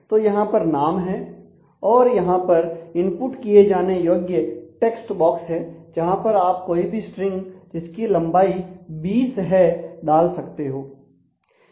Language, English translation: Hindi, So, and then I have a qualifier name and there is a input text box where you can input any strain up to size 20